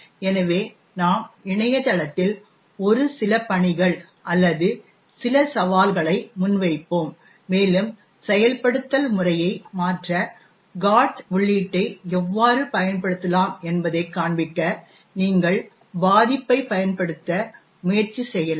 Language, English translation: Tamil, So we will putting up a few assignments or some challenges on the website and you could actually try to use the vulnerabilty to show how you could use a GOT entry to modify the execution pattern